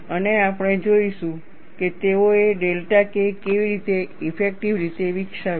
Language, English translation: Gujarati, And we will see, how they developed delta K effective